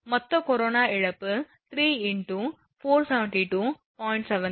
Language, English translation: Tamil, Total corona loss will be 3 into 472